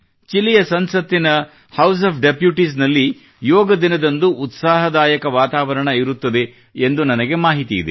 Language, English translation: Kannada, I have been told that the House of Deputies is full of ardent enthusiasm for the Yoga Day